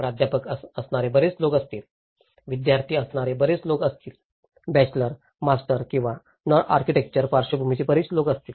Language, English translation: Marathi, Whether there will be many people who are faculty, there are many people who are students, there are many people from bachelors, masters or from non architectural backgrounds as well